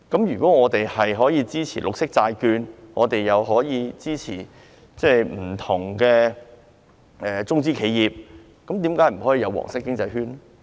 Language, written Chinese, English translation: Cantonese, 如果我們可以支持綠色債券，又可以支持不同的中資企業，為何不可以支持"黃色經濟圈"？, If we can support green bonds and can also support different China - owned enterprises why can we not support the yellow economic circle?